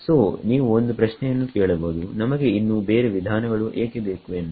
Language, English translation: Kannada, So, you can ask one question now why do we need yet another method